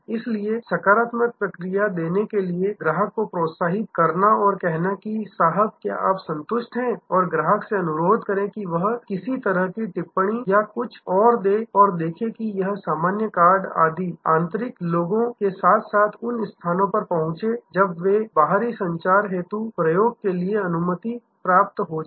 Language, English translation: Hindi, So, pursuit the customer to give the positive feedback calling back and say sir are you satisfied and request the customer to give some kind of comment or something and see that this common cards etc, reach the internal people as well as a locations when it is permitted use them for external communication